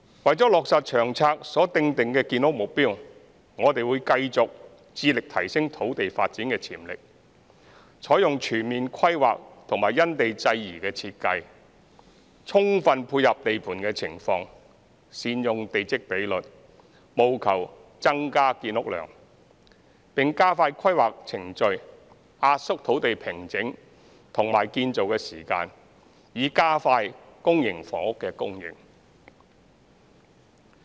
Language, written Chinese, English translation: Cantonese, 為落實《長策》所訂定的建屋目標，我們會繼續致力提升土地發展潛力，採用全面規劃和因地制宜的設計，充分配合地盤情況、善用地積比率，務求增加建屋量，並加快規劃程序，壓縮土地平整和建造時間，以加快公營房屋供應。, To meet the housing production target under the LTHS we will continuously endeavour to optimize site potentials through comprehensive planning and site - specific design to best respond to site conditions utilize plot ratio and maximize flat production . We will also speed up the planning procedures and compress the time for site formation and construction with a view to expediting the supply of public housing